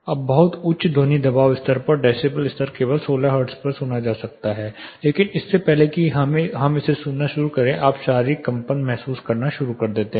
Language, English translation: Hindi, No very high sound pressure level or decibel levels only can be hard at for example 16 hertz, but before we start hearing it you start feeling the physical vibration